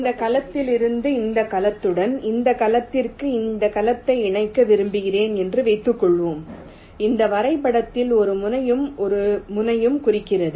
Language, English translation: Tamil, if suppose i want to make a connection from this cell to this cell, this cell to this cell, which in this graph represents this vertex and this vertex